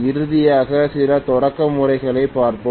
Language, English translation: Tamil, Finally, we will look at some starting methods